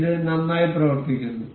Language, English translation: Malayalam, It is working well and good